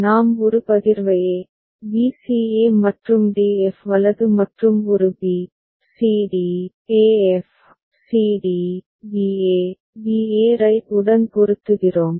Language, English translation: Tamil, We put a partition a, b c e and d f right and corresponding a b, c d, e f, c d, b a, b a right